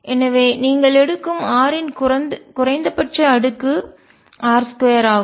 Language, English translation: Tamil, So, the minimum power of r that you take is r square